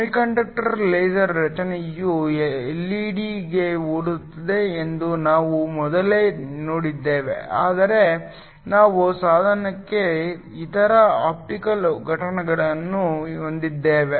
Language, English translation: Kannada, We have seen earlier there are semiconductor laser structure is similar to an LED, but we also have other optical components to the device